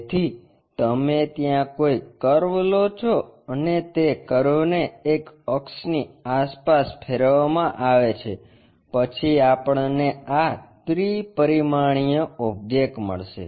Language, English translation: Gujarati, So, you pick a curve rotate that curve around an axis, then we will get this three dimensional objects